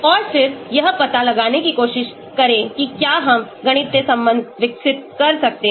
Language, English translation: Hindi, And then try to find out whether we can develop a mathematical relation